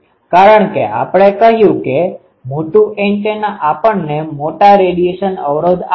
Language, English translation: Gujarati, Because, we said that a larger antenna will give us larger radiation resistance